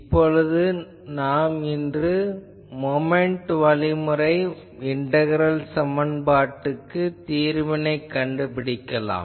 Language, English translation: Tamil, So, today we will discuss the Moment Method integral equation solution by moment method